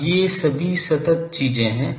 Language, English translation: Hindi, Now, these are all constant things